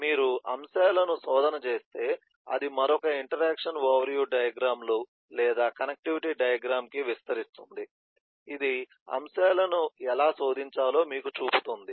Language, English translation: Telugu, If you do search eh items, then it will expand to another interaction overview kind of eh diagrams or connectivity diagram which will show you how to search items